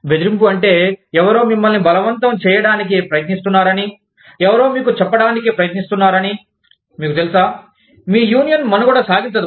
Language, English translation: Telugu, Intimidation means, that somebody is trying to force you, somebody is trying to tell you, that you know, your union will not survive